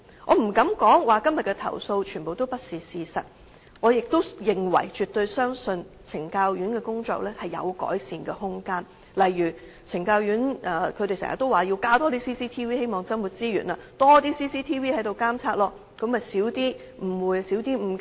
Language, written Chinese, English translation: Cantonese, 我不敢說今天的投訴全部不是事實，我亦認為及絕對相信懲教院所的工作有改善空間，例如懲教院所經常也說要增設 CCTV， 希望增撥資源，有更多 CCTV 監察，便可以減少誤會和誤解。, I dare not to say that all of todays accusations are not true . I also consider that there is still room for improvement as to the work of penal institutions . For example staff of penal institutions always demand the increase of CCTVs